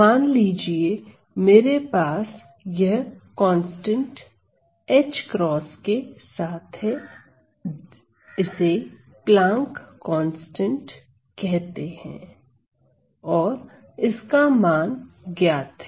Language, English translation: Hindi, So, suppose then I have this constant h with a cross it is also known as the Planck’s constant and this has a known value